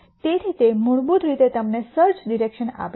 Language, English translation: Gujarati, So, that basically gives you the search direction